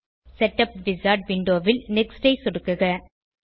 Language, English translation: Tamil, Click on Next in the setup wizard window